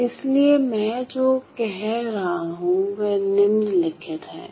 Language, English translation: Hindi, So, what I am saying is the following